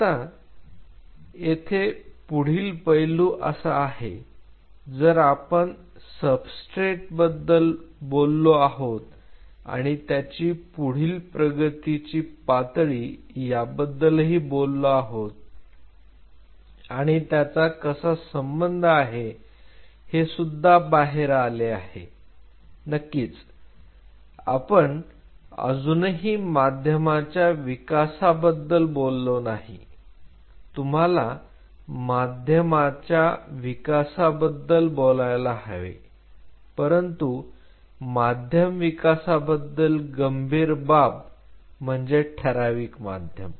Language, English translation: Marathi, There is this next aspect if we have talked about substrate there is next level of advancement what we will be dealing with is out here of course, we haven’t still talked about medium development you will be talking about medium development, but what is critical about medium development is defined medium